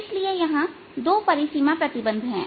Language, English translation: Hindi, that is the boundary condition